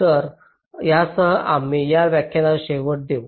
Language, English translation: Marathi, ok, so with this we come to the end of this lecture, thank you